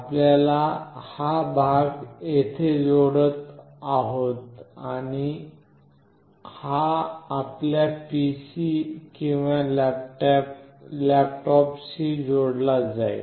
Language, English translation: Marathi, You will be connecting this part here and this will be connected to your PC or laptop